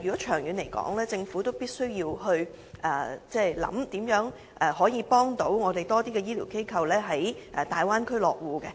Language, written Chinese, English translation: Cantonese, 長遠而言，政府必須考慮如何協助更多醫療機構在大灣區落戶。, In the long run the Government should consider ways to help more medical institutions to set up their bases in the Guangdong - Hong Kong - Macao Bay Area